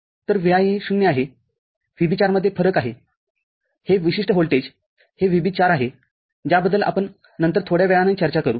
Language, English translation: Marathi, So, this Vi is 0, there is a difference to VB4, this particular voltage this is VB4, that we shall discuss little later